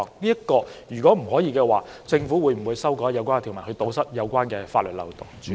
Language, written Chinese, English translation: Cantonese, 如果不能，政府會否修改有關條文，以堵塞有關的法律漏洞？, If not will the Government amend the relevant provisions to plug the relevant legal loopholes?